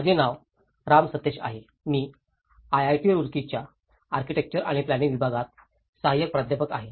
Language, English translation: Marathi, My name is Ram Sateesh; I am an assistant professor in Department of Architecture and Planning, IIT Roorkee